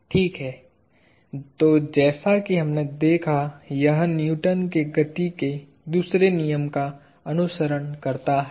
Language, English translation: Hindi, So, as we saw, this follows from Newton’s second law of motion